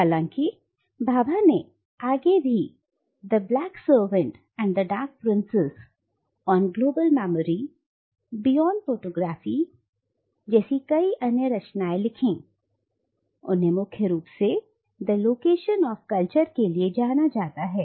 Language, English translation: Hindi, And though Bhabha has subsequently authored a number of other important works like “The Black Savant and the Dark Princess”, “On Global Memory”, and “Beyond Photography”, he is primarily known for The Location of Culture